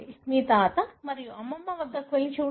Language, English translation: Telugu, Go and look at your grandfather and grandmother